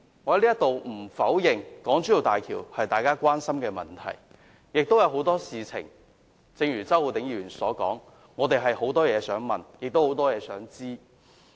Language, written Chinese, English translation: Cantonese, 我不否認港珠澳大橋是大家關心的議題，正如周浩鼎議員所說，我們亦有很多問題想提出，有很多事情想知道。, I do not deny that HZMB is a concern to us . As mentioned by Mr Holden CHOW there are so many questions we wish to ask so many things we wish to know